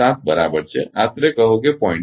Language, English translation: Gujarati, 7 say roughly 0